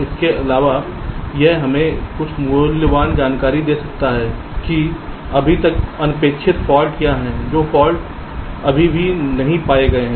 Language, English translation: Hindi, so addition, it can also gives us some valuable information as to what are the yet undetected faults, the faults which are still not detected diagrammatically